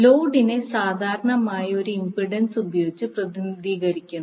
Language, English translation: Malayalam, Now, the load is generally represented by an impedance